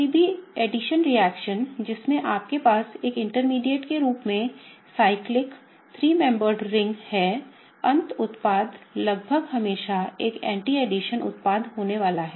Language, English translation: Hindi, Any addition reaction in which you have a cyclic three membered ring formed as an intermediate, the end product is gonna be almost pretty much always an anti addition product